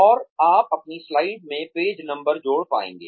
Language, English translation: Hindi, And, you will be able to add page numbers, to your slides